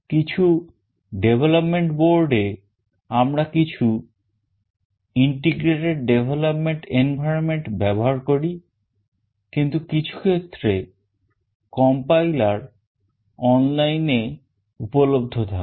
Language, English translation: Bengali, In some development boards we use some integrated development environment, but for some the compiler is already available online